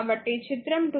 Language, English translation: Telugu, So, figure 2